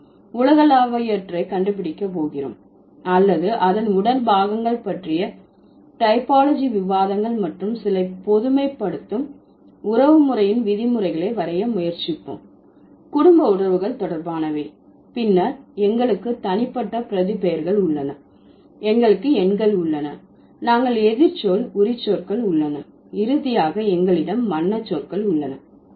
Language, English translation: Tamil, We are going to find out the universals or we are going to find out the typological discussions on body parts and we'll try to draw some generalizations, kinship terms related to the family relations, then we have personal pronouns, we have numerals, we have antonymic adjectives and finally we have the color words